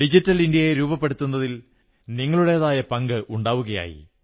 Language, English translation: Malayalam, It will be your contribution towards making of a digital India